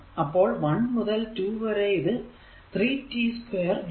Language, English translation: Malayalam, So, 1 to 2 it will be 3 t square into dt